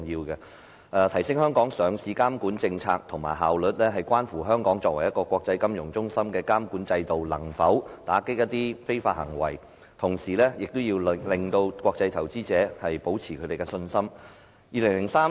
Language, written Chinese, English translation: Cantonese, 要提升香港上市監管政策及效率，關乎香港作為一個國際金融中心的監管制度能否打擊一些非法行為，同時亦要令國際投資者保持信心。, The enhancement of the governance structure for listing regulation and its effectiveness depends on whether or not the regulatory regime of Hong Kong an international financial hub can curb certain illegal activities and at the same time retain the confidence of international investors